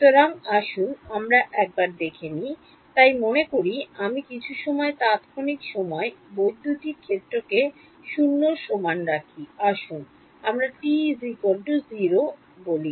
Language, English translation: Bengali, So, let us have a look at, so supposing I at some time instant time I put the electric field equal to 0 let us say at t is equal to 0